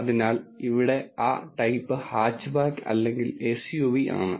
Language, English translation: Malayalam, So, that type here is either hatchback or SUV